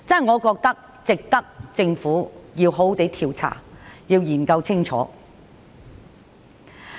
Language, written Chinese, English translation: Cantonese, 我覺得值得政府好好調查和研究清楚。, I think it is advisable for the Government to conduct a thorough investigation